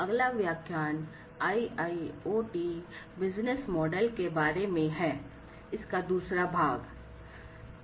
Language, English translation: Hindi, So, the next lecture is about IIoT Business Models, the second part of it